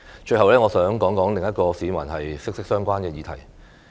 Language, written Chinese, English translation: Cantonese, 最後，我想談談另一個與市民息息相關的議題。, Finally I would like to talk about another issue that is closely related to the public